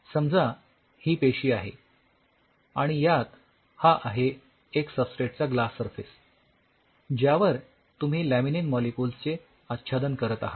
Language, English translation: Marathi, So, laminin has its, if you look at the cell this is the cell and you have a substrate glass surface on which you are coating it with laminin molecules